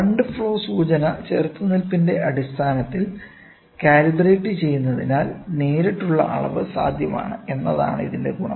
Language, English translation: Malayalam, The advantage is that the direct measurement is possible since the current flow indication is calibrated in terms of resistance